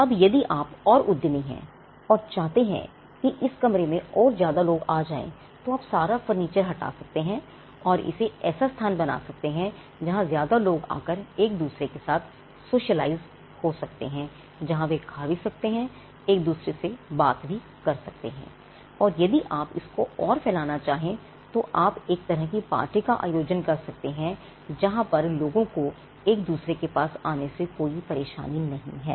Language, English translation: Hindi, Now, if you get more enterprising and if you want to get in more people into it you can remove all furniture and make it into a place where people come and generally socialize with each other, for whatever reason you could they could eat they could talk to each other and if you really want to stretch this forward you could have some kind of a party where people do not mind being at close proximity with each other